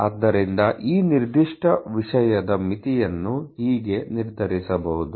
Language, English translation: Kannada, So, that is how the limit of this particular thing can be determine